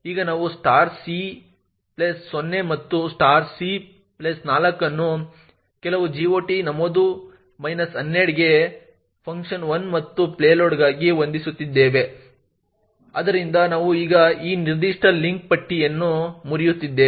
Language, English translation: Kannada, So now we are setting *(c+0) and *(c+4) to some GOT entry minus 12 for function 1 and payload, so therefore we are now breaking this particular link list